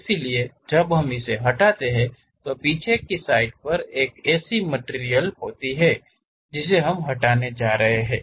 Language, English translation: Hindi, So, when we remove that, at back side there is a material that one we are going to remove it